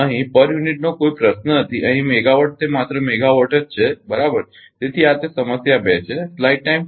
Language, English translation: Gujarati, 005 hertz per megawatt no question of per unit here megawatt it is just megawatt right; so, this is that problem 2